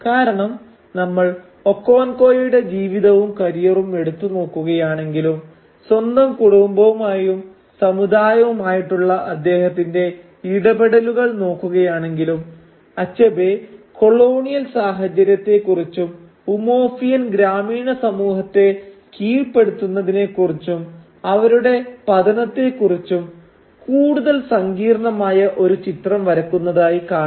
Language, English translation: Malayalam, Because if we trace back the life and career of Okonkwo and his previous engagement with his own community and his own family we will see that Achebe paints a much more complex picture of the colonial situation and the subjugation and downfall of the Umuofian village community